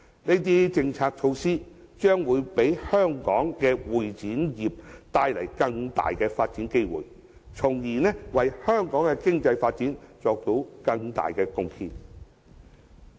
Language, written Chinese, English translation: Cantonese, 這些政策措施將會給香港的會展業帶來更大的發展機會，為香港的經濟發展作出更大貢獻。, These policies will bring great development opportunities to Hong Kongs CE industry and make great contributions to the development of the local economy